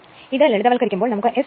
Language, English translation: Malayalam, If you solve this one you will get S max is equal to 0